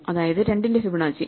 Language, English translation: Malayalam, So, Fibonacci of 2 is 1